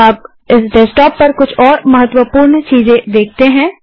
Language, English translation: Hindi, Now lets see some more important things on this desktop